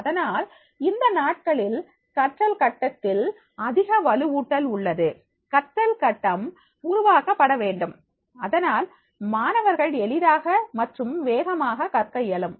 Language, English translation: Tamil, So therefore nowadays, the more emphasize is on the learning grid, create a learning grid, so that the students they will learn easily and faster way